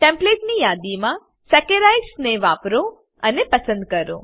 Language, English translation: Gujarati, As an assignment Select and use Saccharides from Templates list